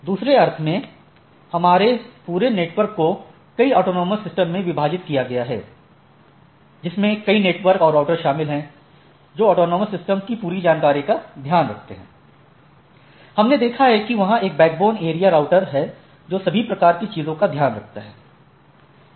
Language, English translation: Hindi, In other sense our whole network is divided into several autonomous systems, which consist of several networks and there are routers or which takes care of the whole information of the autonomous system that, we have seen that there are there is a backbone area router or this backbone router which takes care of those type of things